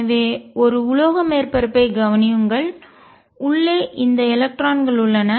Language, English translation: Tamil, So, consider a metallic surface, and there these electrons inside